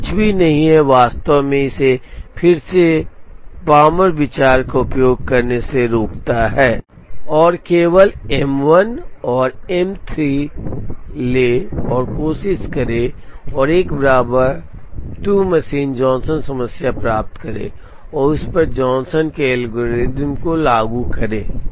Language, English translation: Hindi, So, nothing prevents us from actually using the palmer idea again into it, and take only M 1 and M 3 and try and get an equivalent 2 machine Johnson problem and apply the Johnson's algorithm on it